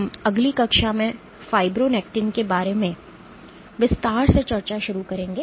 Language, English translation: Hindi, We will start discussing in detail about fibronectin in next class